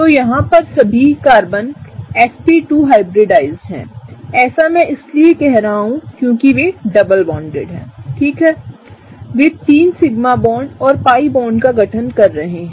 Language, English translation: Hindi, So, all of these sp2 hybridized Carbons, why I am saying sp2 hybridized, because they are double bonded, right, they are forming three sigma bonds and pi bond